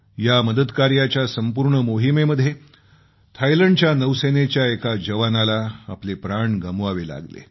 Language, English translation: Marathi, During the operation, a sailor from Thailand Navy sacrificed his life